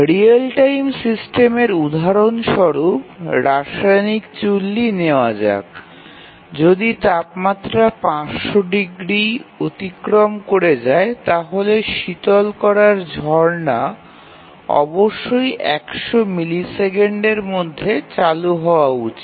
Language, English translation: Bengali, Just to give an example of a real time system let us say that in a chemical reactor if the temperature exceeds 500 degrees, then the coolant shower must be turned down within 100 milliseconds